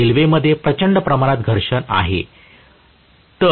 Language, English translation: Marathi, There is huge amount of friction with the rails